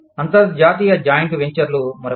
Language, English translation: Telugu, International joint ventures, are another one